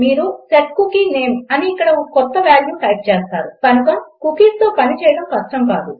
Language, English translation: Telugu, Youll say set cookie name and here just type a new value So its not hard to work with cookies